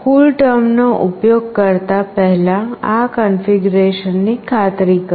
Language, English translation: Gujarati, Make sure to do this configuration prior to using CoolTerm